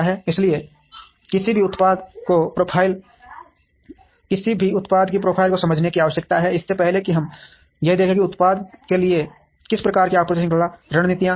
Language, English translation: Hindi, So, one needs to understand the profile of the product, before we look at what kind of supply chain strategies we are going to have for the product